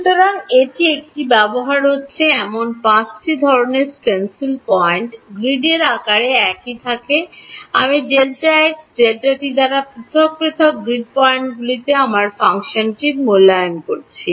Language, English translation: Bengali, So, this, this these are the five sort of stencils points that are being used, the grid size remains the same I am evaluating my function at grid points spaced apart by delta x delta t